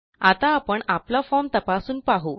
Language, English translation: Marathi, Now, let us test our form